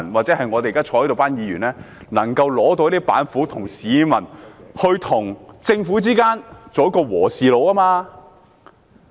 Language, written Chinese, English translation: Cantonese, 席上的議員也不妨拿出板斧，當市民和政府之間的"和事佬"。, Fellow Honourable Members here are welcomed to put forward any ideas they have up their sleeves and act as a mediator between the public and the Government